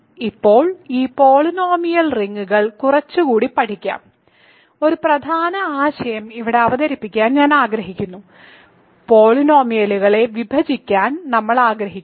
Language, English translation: Malayalam, So, now let us study these polynomial rings a little bit more, I want to introduce an important concept here: we want to be able to divide polynomials